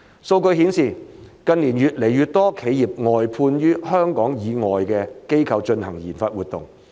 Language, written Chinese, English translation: Cantonese, 數據顯示，近年越來越多企業外判予香港以外的機構進行研發活動。, Data show that more and more enterprises have contracted out their RD activities to parties outside Hong Kong in recent years